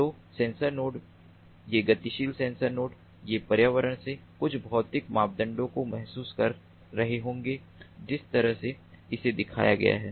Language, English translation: Hindi, so the sensor nodes, these mobile sensor nodes, they would be sensing some physical parameters from the environment, like the way it is shown over here